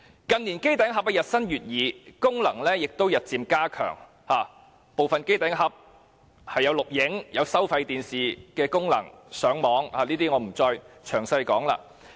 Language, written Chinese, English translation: Cantonese, 近年機頂盒日新月異，功能亦日漸加強，部分機頂盒更具有錄影、收看收費電視和上網的功能，我不會再詳細論述。, In recent years new models of set - top boxes have been developed with increasing functions; some set - top boxes also have the functions of video recording viewing pay TV programmes and Internet access . I am not going to elaborate